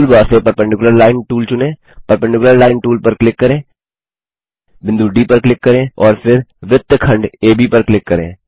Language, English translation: Hindi, Select perpendicular line tool from tool bar,click on the perpendicular line tool, click on the point D and then on segment AB